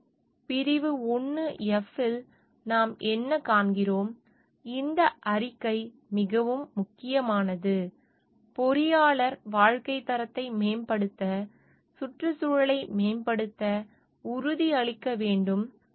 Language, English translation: Tamil, So, what we find like in section 1 f, this statement is very important engineer should be committing to improving the environment to enhance the quality of life